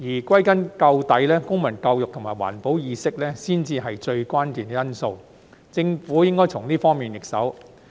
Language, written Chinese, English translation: Cantonese, 歸根究底，公民教育及環保意識才是最關鍵的因素，政府應該從這方面入手。, In the final analysis civic education and environmental awareness are the most crucial factors . The Government should start from these areas